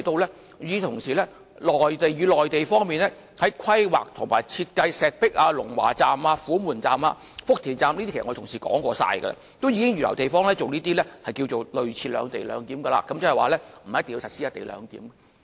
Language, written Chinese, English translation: Cantonese, 與此同時，文件提到內地在規劃及設計石壁站、龍華站、虎門站、福田站時——這是我的同事也說過的了——也已經預留地方作類似的"兩地兩檢"，即不一定要實施"一地兩檢"。, At the same time the paper stated that co - location would not be a must as the Mainland had reserved spaces for something like separate location of customs and clearance facilities in the planning and design of the Shibi Station Longhua Station Humen Station and Futian Station . My fellow Members have pointed this out too